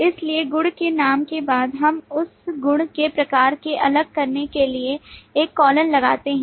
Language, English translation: Hindi, So after the property name we put a colon to separate it from the type of the property